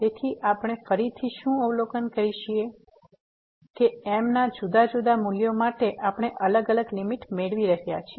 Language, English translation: Gujarati, So, what we observe again that for different values of , we are getting a different limit